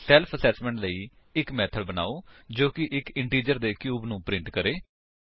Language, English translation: Punjabi, For self assessment, create a method which prints the cube of an integer